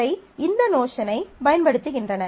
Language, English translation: Tamil, So, these are using this notion